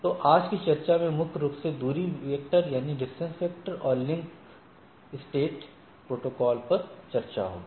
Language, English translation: Hindi, One is distance vector, another is link state protocol